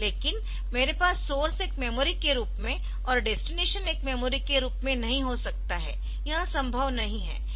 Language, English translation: Hindi, But I cannot have that source as a memory, so this is also memory and this is also memory, so that is not possible